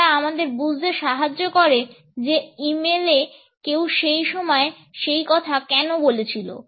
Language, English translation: Bengali, They help us to understand, why did someone said that timing of the e mail at that point